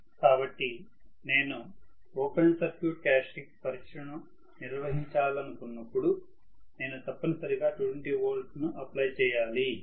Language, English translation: Telugu, So, when I want to conduct a open circuit characteristic test, I have to necessarily apply 220 volts and if I am applying 220 volts to a 0